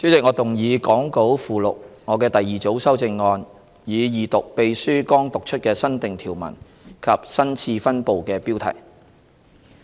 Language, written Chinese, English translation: Cantonese, 代理主席，我動議講稿附錄我的第二組修正案，以二讀秘書剛讀出的新訂條文及新次分部的標題。, Deputy Chairman I move my second group of amendments as set out in the Appendix to the Script to read the new clauses and the new subdvision heading just read out by the Clerk a Second time